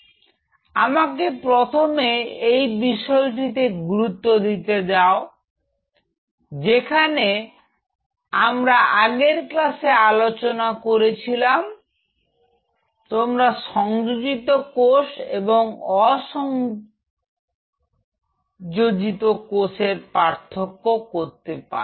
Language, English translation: Bengali, So, here let me highlight that you can, in the previous class I told you that you can distinguish between adhering cell and non adhering cells right